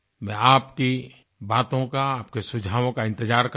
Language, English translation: Hindi, I will wait for your say and your suggestions